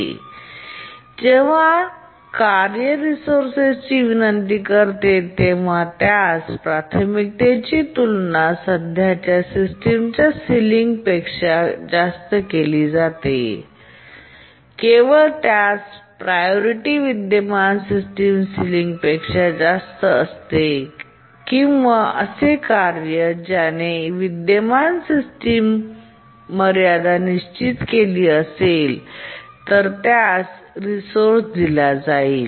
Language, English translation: Marathi, Here when a task requests a resource, its priority is compared to the current system ceiling and only if its priority is more than the current system ceiling or it is the task that has set the current system ceiling it is granted a resource